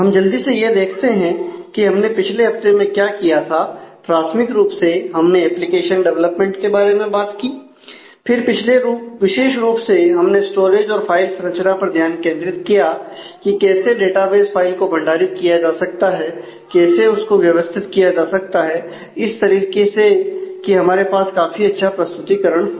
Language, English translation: Hindi, So, this is a quick recap of what we did in the last week primarily talking about application development and then specifically; we focused on storage and file structure that is how a database file can be stored how it can be organized and in a manner so that, we have efficient representation for that now